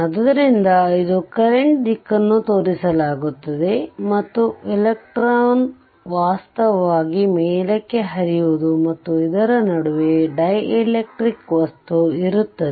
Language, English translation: Kannada, So, it is this is this is shown the direction of the current that current flows; and electron it is given that flowing upward actually and in between this is your dielectric material